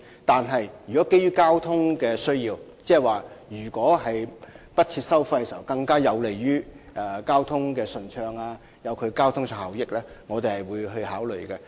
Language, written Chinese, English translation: Cantonese, 可是，如果基於交通考慮，例如不設收費會更有利維持交通順暢和效益，我們會另作考慮。, Nevertheless separate consideration will be given if there are traffic concerns such as waiving tolls will be conducive to maintaining a smooth and effective traffic flow